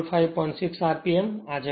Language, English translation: Gujarati, So, this is the answer